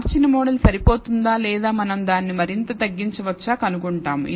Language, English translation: Telugu, So, we are going to find whether the fitted model is adequate or it can be reduced further